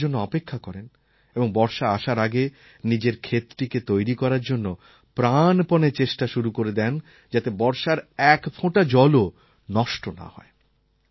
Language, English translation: Bengali, Before that, he puts in his life and soul to get his field ready so that not even a single drop of rain water goes waste